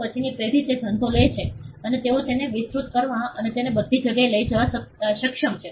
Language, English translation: Gujarati, Then the next generation takes the business and they are able to broaden it and take it to all places